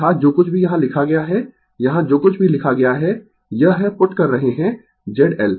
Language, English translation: Hindi, That is, whatever it is written here right, whatever is written here, this is we are putting Z L